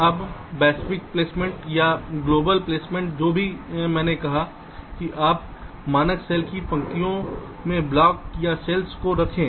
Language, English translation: Hindi, now, global placement, whatever i have ah said that you place the blocks or the cells in rows of the standard cell